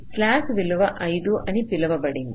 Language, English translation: Telugu, let say slack value was, let say five